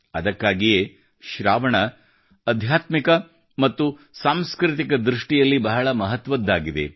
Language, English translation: Kannada, That's why, 'Sawan' has been very important from the spiritual as well as cultural point of view